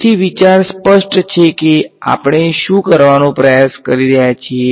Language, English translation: Gujarati, So, the idea is clear what we are trying to do